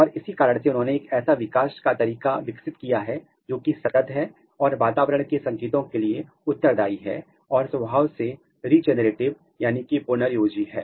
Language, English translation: Hindi, And, that is why they have evolved a developmental pattern that are continuous, responsive to the environmental cues and regenerative in nature